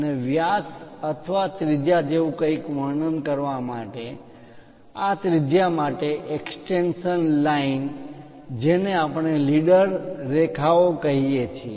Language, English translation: Gujarati, And the extension line for this radius to represent something like diameter or radius that line what we call leader lines